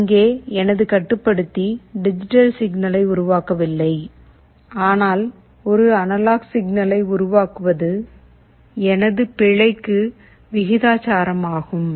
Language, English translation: Tamil, Here my controller is not generating a digital signal, but is generating an analog signal is proportional to my error